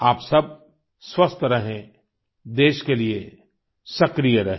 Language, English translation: Hindi, May all of you stay healthy, stay active for the country